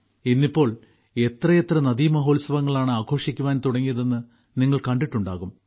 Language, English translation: Malayalam, You must have seen, nowadays, how many 'river festivals' are being held